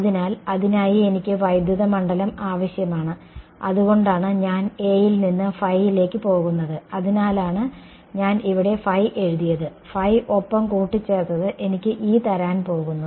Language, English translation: Malayalam, So, for that I need electric field that is why I am going from A to phi that is why I have written phi over here, and phi added together is going to give me E